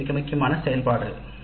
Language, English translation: Tamil, This is an extremely important activity